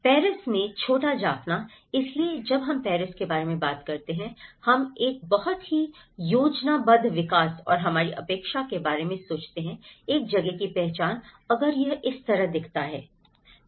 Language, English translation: Hindi, The little Jaffna in Paris, so the moment we talk about the Paris, we think of a very planned development and our expectation of a place identity if it looks like this